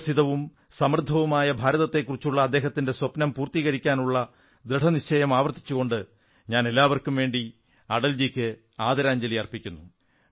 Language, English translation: Malayalam, Reiterating our resolve to fulfill his dream of a prosperous and developed India, I along with all of you pay tributes to Atalji